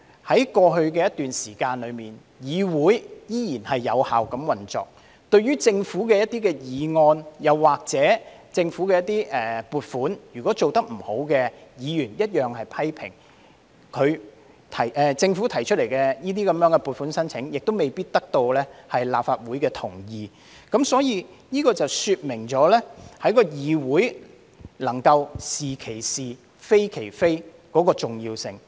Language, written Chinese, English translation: Cantonese, 在過去一段時間，我們看到議會依然有效運作，對於政府的一些議案或撥款要求，如果政府做得不好，議員同樣作出批評，而政府提出的撥款要求亦未必得到立法會的同意，這說明了議會能夠"是其是，非其非"的重要性。, For a period of time we have seen that this Council has still operated effectively . Regarding motions or funding requests put forward by the Government if the Government is not doing its job Members will make criticisms all the same and the Governments funding requests may not necessarily be endorsed by the Legislative Council . This shows the importance for this Council to say what is right as right and denounce what is wrong as wrong